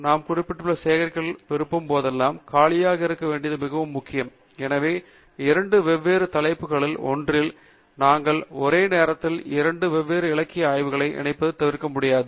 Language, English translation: Tamil, It is very important to keep it empty whenever we want to collect references, so that we can avoid mixing up two different literature surveys that we are doing simultaneously at two different topics